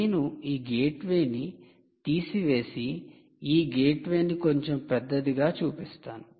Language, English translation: Telugu, i will remove this gateway and show this gateway a little bigger